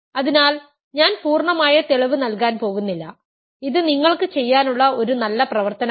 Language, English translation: Malayalam, So, I am not going to give the full proof, it is a good exercise for you to do